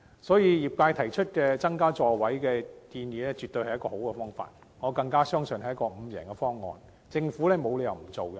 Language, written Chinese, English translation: Cantonese, 所以，業界提出增加座位的建議絕對是一個好方法，我更相信這是一個"五贏方案"，政府沒有理由不接納。, Therefore the trades proposal of increasing the seating capacity is definitely desirable and I even believe it is a five - win option that the Government has to reason to reject